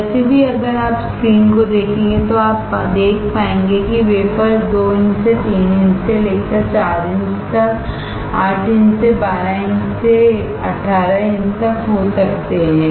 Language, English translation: Hindi, Anyway, the point is if you see the screen you will be able to see that the wafers can be from 2 inches to 3 inches to 4 inches to 8 inches to 12 inches to 18 inches